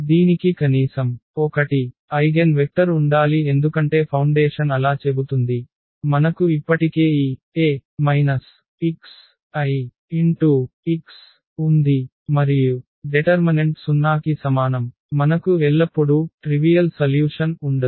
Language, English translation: Telugu, And it had it just must to have at least 1 eigenvectors because that is what the foundation says so, we have already this a minus lambda I and the determinant is equal to 0 we have non trivial solution always